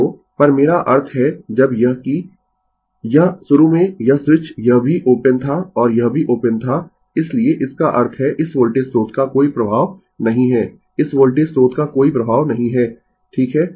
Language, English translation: Hindi, So, at I mean when this your what you call that this initially this switch this was also open and this was also open so; that means, this voltage source has no effect this voltage source has no effect right